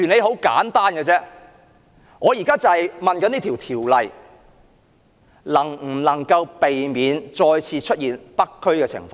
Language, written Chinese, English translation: Cantonese, 很簡單，這項《條例草案》能否避免再次出現北區的情況？, Let me ask a very simple question . Can the Bill prevent the recurrence of the situation in North District?